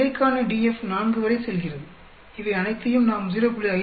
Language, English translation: Tamil, DF for the error goes up to 4 and we have to add up all these with 0